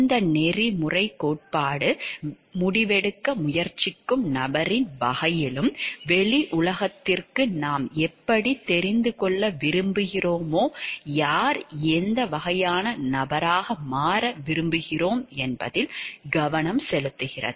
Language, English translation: Tamil, This ethical theory focus us on the type of person who is trying to make the decision and who and what type of person we want to become how we want to be known to the outside world